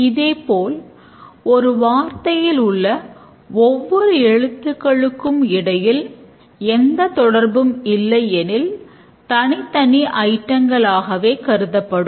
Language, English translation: Tamil, Similarly, a word, individual letters, if there is no relation, there will be separate items